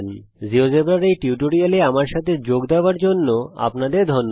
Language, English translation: Bengali, thank you for joining me on this tutorial of geogebra